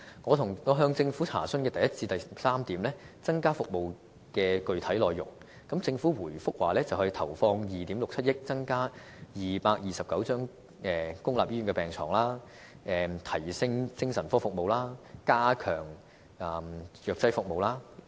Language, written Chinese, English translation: Cantonese, 我向政府查詢第一點至第三點增加服務的具體內容時，政府回覆說會投放2億 6,700 萬元，增加229張公立醫院病床；提升精神科服務；以及加強藥劑服務。, When I asked the Government about specific contents of the additional services introduced in items a to c the Government replied that it would spend 267 million adding 229 beds in public hospitals; strengthening psychiatric health care services; and enhancing pharmaceutical services